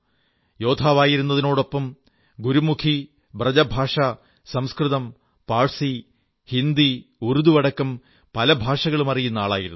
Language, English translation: Malayalam, He was an archer, and a pundit of Gurmukhi, BrajBhasha, Sanskrit, Persian, Hindi and Urdu and many other languages